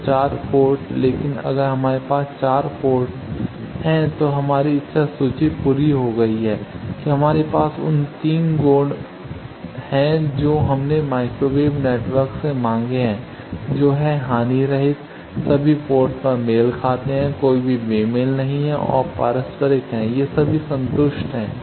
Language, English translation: Hindi, So, 4 port, but if we have 4 port we have our wish list completed that we have those 3 properties that we demanded from a microwave network that is lossless, matched at all ports, no mismatch and reciprocal all are satisfied